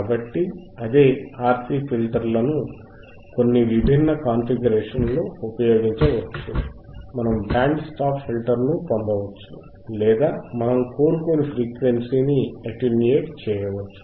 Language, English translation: Telugu, So, same RC filters can be used in some different configurations to get us a band stop filter or attenuate the frequency that we do not desire all right